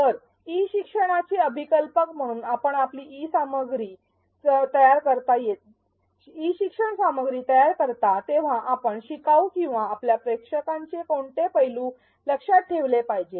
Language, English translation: Marathi, So, as a designer of e learning, what aspects of the learner or your audience would you want to keep in mind when you design your e learning materials